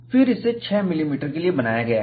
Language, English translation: Hindi, 6 millimeter; then, it is drawn for 6 millimeter